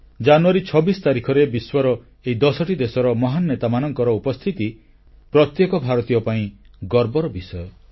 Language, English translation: Odia, On 26th January the arrival of great leaders of 10 nations of the world as a unit is a matter of pride for all Indians